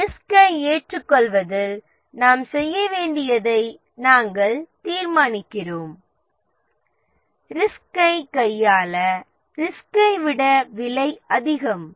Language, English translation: Tamil, In risk acceptance we determine that the things that we need to do to handle the risk is more expensive than the risk itself